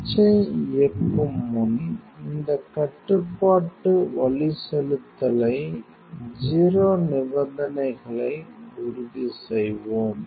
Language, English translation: Tamil, Before we power on switch, you will ensure this control navigation 0 conditions